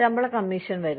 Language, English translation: Malayalam, Pay commission comes